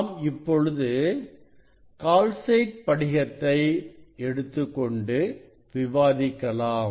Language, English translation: Tamil, this is the calcite crystal; this is the calcite crystal